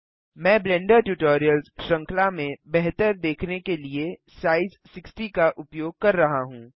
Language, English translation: Hindi, I am using size 60 for better viewing purposes in the Blender Tutorials series